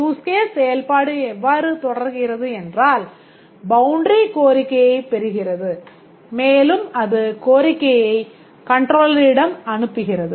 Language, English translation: Tamil, If we see how the use case execution proceeds, the boundary gets the request and it passes on the request to the controller